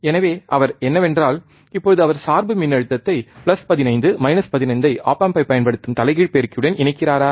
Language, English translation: Tamil, So, what he is, right now performing is he is connecting the bias voltage is plus 15, minus 15 to the inverting amplifier using op amp, alright